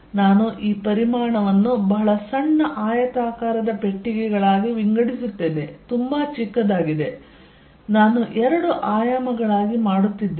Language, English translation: Kannada, In this volume I divide this volume into very small rectangular boxes very, very small I am making into two dimensions